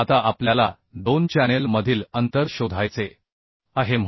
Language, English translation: Marathi, Now we have to find out the spacing between two channels